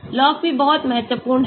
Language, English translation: Hindi, log p is very important